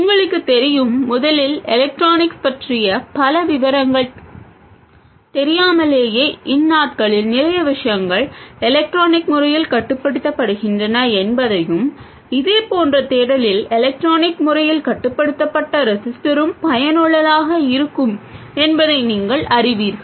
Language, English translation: Tamil, You know first of all even without knowing a lot of details of electronics, you know that lots of things are electronically controlled these days and an electronically controlled register is also useful in a similar sense